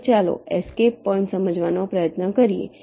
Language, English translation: Gujarati, now let us try to understand the escape points